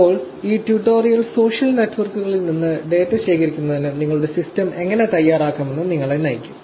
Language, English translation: Malayalam, Now, this tutorial will guide you to how to prepare your system for collecting the data from social networks